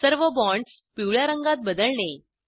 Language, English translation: Marathi, Change the color of all the bonds to yellow